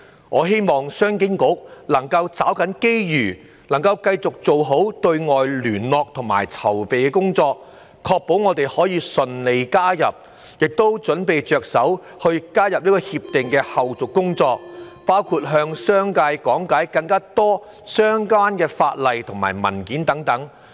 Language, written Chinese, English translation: Cantonese, 我希望商經局能夠抓緊機遇，繼續做好對外聯絡和籌備工作，確保我們可以順利加入《協定》，並着手準備加入《協定》的後續工作，包括多向商界講解相關法例和文件等。, I hope that CEDB can seize the opportunities and continue to conduct external liaison and make preparations properly in order to ensure Hong Kong a smooth accession to RCEP and embark on the preparation for the follow - up work relating to the accession to RCEP including explaining the relevant legislation and documents to the business sector